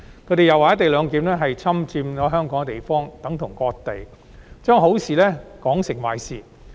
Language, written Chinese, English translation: Cantonese, 他們又說"一地兩檢"是侵佔香港的地方，等同割地，把好事說成壞事。, They also went on to call white black by describing the co - location arrangement as occupation of Hong Kongs territory and equivalent to ceding the territory of Hong Kong